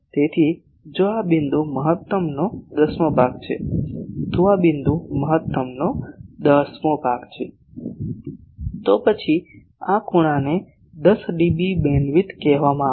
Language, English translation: Gujarati, So, if this point is one tenth of maximum, this point is one tenth of maximum, then this angle will be called 10dB beamwidth